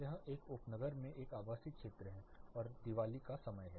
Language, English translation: Hindi, It is a residential area in a suburb it is a Diwali